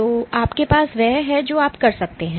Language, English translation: Hindi, So, you have what you can do